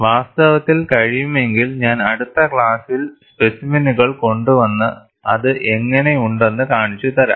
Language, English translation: Malayalam, In fact, if possible I will bring it in the next class and show you how the specimens look like